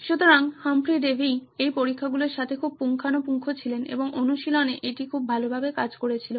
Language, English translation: Bengali, So, Humphry Davy was very thorough with this experiments and in practice it worked very well as well